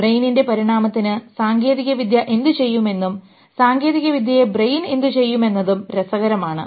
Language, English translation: Malayalam, It is interesting to see what technology will do to the evolution of the brain and what brain does to the technology